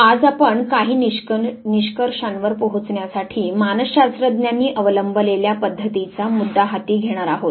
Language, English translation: Marathi, Today we are going to take up the issue of the methods that are adopted by psychologists to arrive at certain conclusions